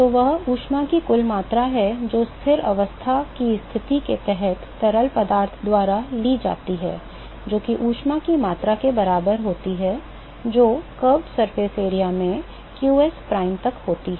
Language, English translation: Hindi, So, that is the net amount of heat that is taken up by the fluid under steady state conditions, that is also equal to the amount of heat to qs prime into the curved surface area right